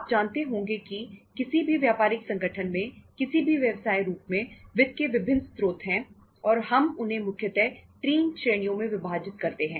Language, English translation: Hindi, You must be knowing that in any business organization, in any business in any form there are different sources of finance, different types of the sources of finance and we shall divide them into 3 categories right